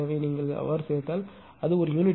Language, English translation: Tamil, So, if you add it will become 0